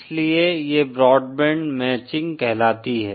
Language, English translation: Hindi, So that is what we call broadband matching